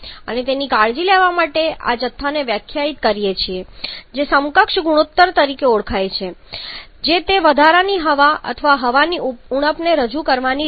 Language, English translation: Gujarati, And to take care of that we define this quantity which is known as the equivalence ratio which is nothing but another way of representing that excess air or deficiency of air